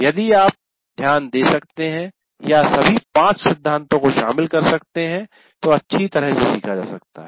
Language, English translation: Hindi, If you are able to pay attention or incorporate all the principles, all the five principles, then learning is best achieved